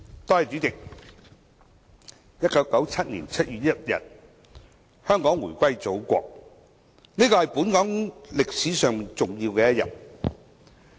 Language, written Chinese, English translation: Cantonese, 代理主席 ，1997 年7月1日，香港回歸祖國，這是本港歷史上重要的一天。, Deputy President Hong Kong returned to the Motherland on 1 July 1997 which was an important day in Hong Kongs history